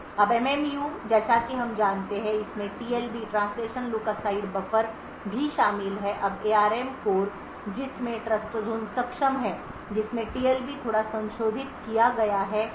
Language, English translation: Hindi, Now the MMU as we know also comprises of TLB which is the translation look aside buffer now in an ARM core which has Trustzone enabled in it the TLB is modified slightly